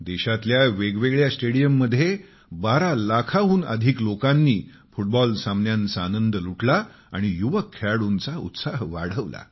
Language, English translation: Marathi, More than 12 lakh enthusiasts enjoyed the romance of Football matches in various stadia across the country and boosted the morale of the young players